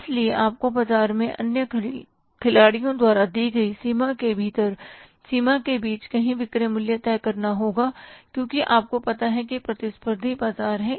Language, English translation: Hindi, So, you have to fix up the selling price somewhere between the range or within the range given by the other players in the market because you say competitive market